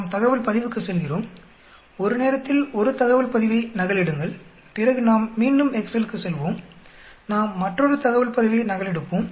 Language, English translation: Tamil, We will go to data set copy 1 data set at a time, then we will again go to the excel, we copy another data set